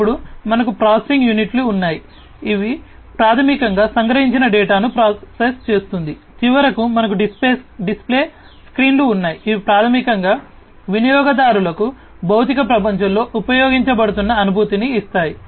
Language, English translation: Telugu, Then we have the processing units, these processing units, which basically will process the data that is captured, then we have finally, the display screens, these are very important components, the display screens, which basically give the user the feeling of being used in the physical world